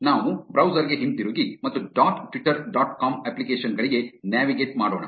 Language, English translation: Kannada, Let us go back to the browser and navigate to apps dot twitter dot com